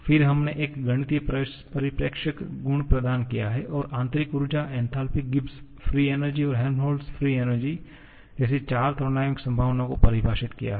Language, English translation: Hindi, Then, we have provided a mathematical perspective property, defined the 4 thermodynamic potentials like internal energy, enthalpy, Gibbs free energy and Helmholtz free energy